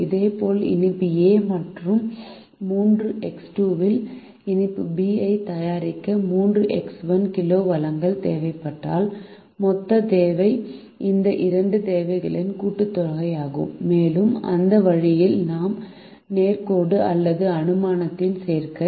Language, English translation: Tamil, in a similar manner, if three x one kg of the resources required to make sweet a and three x two is required to make sweet be, then the total requirement is some of these two requirements and we have the linearity, are the activity of assumption that way